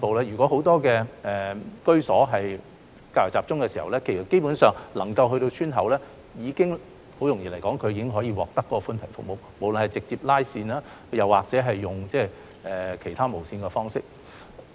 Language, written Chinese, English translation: Cantonese, 如果很多居所是較為集中，基本上光纖能夠鋪設到村口，村內居民已經可以獲得寬頻服務，無論是採用直接拉線或其他無線的方式。, If most of the households are geographically rather concentrated basically when fibre - based networks are extended to the entrances of villages the villagers therein are able to enjoy broadband services no matter by way of direct wiring or other wireless modes